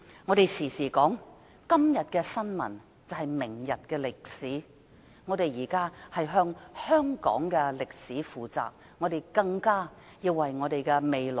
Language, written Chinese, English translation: Cantonese, 我經常說，今天的新聞，就是明天的歷史，我們現在要為香港的歷史負責，更一定要為我們的下一代負責。, As I often say todays news is history tomorrow . Now we have got to be responsible for the history of Hong Kong; so must we for our next generation